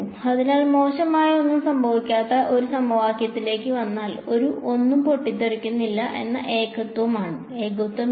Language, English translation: Malayalam, So, if come to a come to an equation where nothing bad is happening, there is no singularity nothing is blowing up so